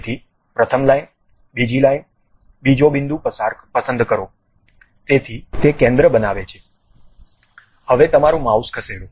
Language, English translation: Gujarati, So, pick first line, second line, second point, so it construct on the center, now move your mouse